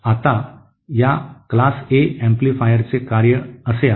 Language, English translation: Marathi, Now the operation of this Class A amplifier is like this